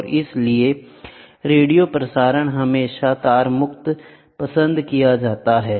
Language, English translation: Hindi, And therefore, radio transmission is always preferred radio transmission is wireless